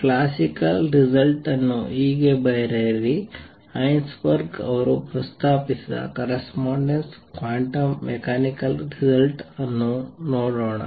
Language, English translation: Kannada, Write thus the classical result let us see the corresponding quantum mechanical result what Heisenberg proposes